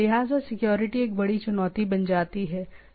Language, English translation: Hindi, So, security becomes a major challenge